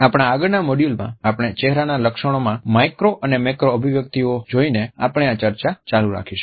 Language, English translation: Gujarati, In our next module we would continue this discussion by looking at micro and macro expressions on our facial features